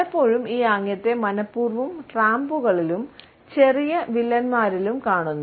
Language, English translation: Malayalam, Often we come across this gesture deliberately in tramps as well as in petty villains